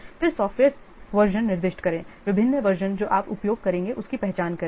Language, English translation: Hindi, Then specify the software versions, what are the different versions that you your software will use